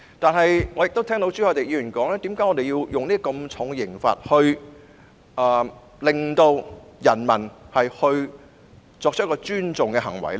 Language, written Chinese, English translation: Cantonese, 可是，我亦聽到朱凱廸議員質疑，為何要用這麼重的刑罰來令人民作出尊重國歌的行為呢？, Yet I have also heard Mr CHU Hoi - dick question why such a harsh penalty have to be imposed to make people behave respectfully towards the national anthem